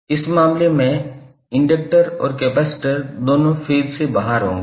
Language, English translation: Hindi, In this case capacitor and inductor both will be out of phase